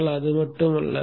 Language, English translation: Tamil, But it is not just that